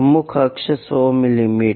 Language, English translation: Hindi, Major axis 100 mm